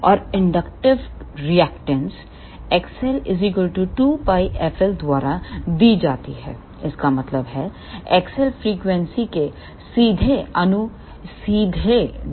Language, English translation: Hindi, And the inductive reactance is given by X L is equal to 2 pi f l; that means, X L is directly proportional to frequency